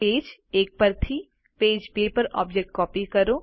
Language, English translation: Gujarati, Copy an object from page one to page two